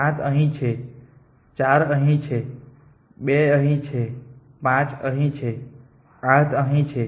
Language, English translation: Gujarati, 7 is here 4 is here 2 is here 5 is here 8 is here